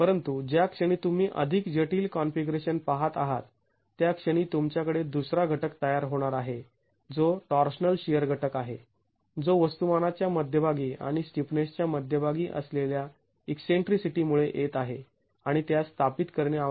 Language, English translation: Marathi, But the moment you are going to look at more complex configurations, you are going to have a second component which is a torsional shear component that comes because of the eccentricity between the center of mass and center of stiffness and that needs to be established